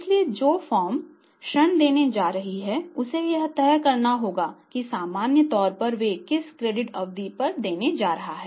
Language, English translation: Hindi, So, the firm who is going to grant the credit has to decide that what credit period normally they are going to give